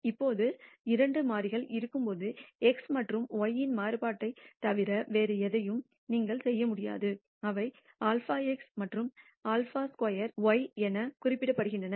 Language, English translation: Tamil, Now when there are two variables you can also de ne other than the variance of x and y which are denoted as sigma squared x and sigma squared y